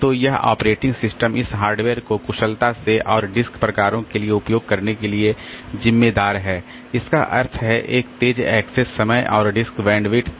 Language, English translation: Hindi, So, this operating system it is responsible for using this hardware efficiently and for the disk drives this means having a fast access time and disk bandwidth